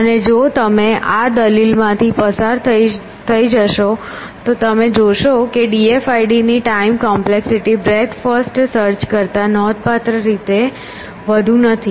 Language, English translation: Gujarati, And if you go through this argument you will see that the time complexity of the d f i d is not significantly more than breath first search